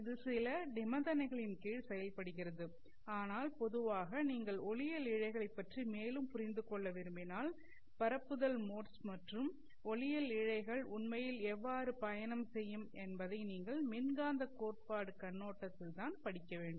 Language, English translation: Tamil, It works under certain conditions but in general if you want to understand more about optical fibers, the propagating modes and how light actually propagates inside the optical fiber, then you have to study it from the electromagnetic theory perspective